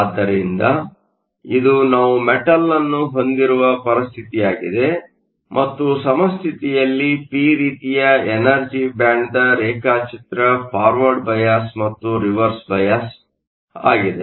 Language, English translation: Kannada, So, this is a situation where we have a metal and a p type in equilibrium is the energy band diagram forward bias and reverse bias